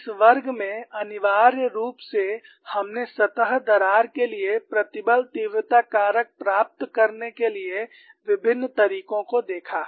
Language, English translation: Hindi, In this class essentially we looked at various methodologies to get the stress intensity factor for a surface crack